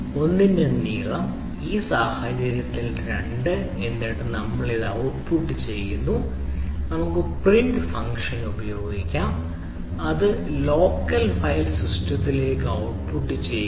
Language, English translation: Malayalam, so length of l, in this case two, right, and then we output this ah, let us use print function, output this to the local file system, right, so there can be this command